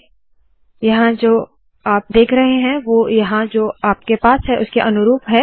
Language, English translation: Hindi, Now what you see here corresponds to what you have here